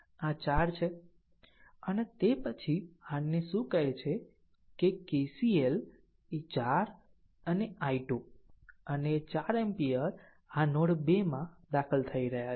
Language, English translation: Gujarati, This is 4 right and after that you apply your what you call that your KCL look 4 and i 2 I 2 and 4 ampere this 2 are entering into the node